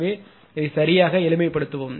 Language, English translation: Tamil, So, just simplify right